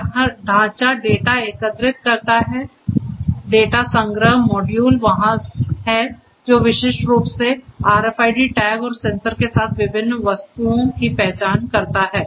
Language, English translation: Hindi, This framework collects the data the data collection module is there which uniquely identifies the different objects with RFID tags and sensors